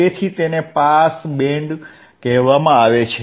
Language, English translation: Gujarati, That is why it is called pass band